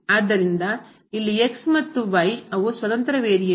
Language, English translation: Kannada, So, here x and y they are the independent variable